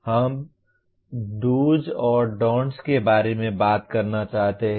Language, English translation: Hindi, Now we want to talk about do’s and don’ts